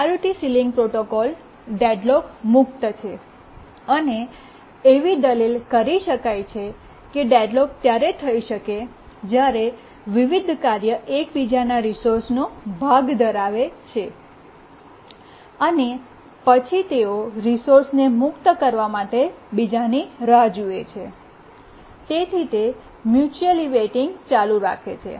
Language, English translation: Gujarati, We can argue it in the following line that deadlock occurs when different tasks hold part of each other's resource and then they wait for the other to release the resource and they keep on mutually waiting